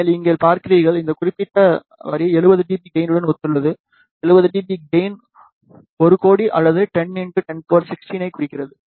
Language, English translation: Tamil, And you see over here, this particular line corresponds to 70 dB gain; 70 dB gain implies 1 or 10 million